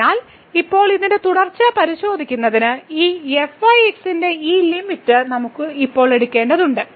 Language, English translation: Malayalam, So now for this to check the continuity of this, what we have to now take this limit of this